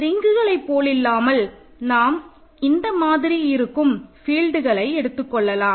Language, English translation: Tamil, So, unlike in the rings case we usually considered fields when in this fashion